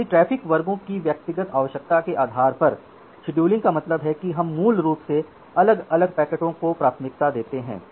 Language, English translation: Hindi, So, scheduling means based on individual requirement of traffic classes we basically prioritize individual packets, prioritizing individual packet means say again let me give you an example